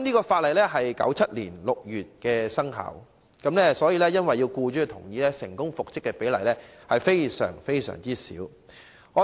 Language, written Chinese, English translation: Cantonese, 法例在1997年6月生效，因為要獲僱主同意，所以僱員成功復職的比率極低。, The law came into effect in June 1997 . Since employers agreement must be secured the percentage of employees being successfully reinstated was extremely low